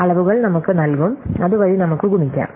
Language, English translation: Malayalam, The dimensions will be given to us, so that they can be multiplied